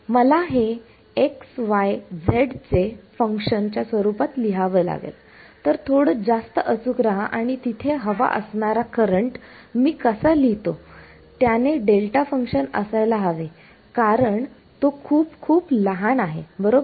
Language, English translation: Marathi, I have to write it as a function of xyz; so, be little bit more precise and how I write the current has to be there have to be delta functions because it is very very small right